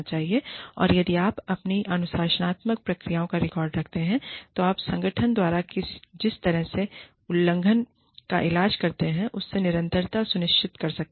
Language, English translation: Hindi, And, if you keep records of your disciplining procedures, you can ensure consistency in the way, violations are treated by the organization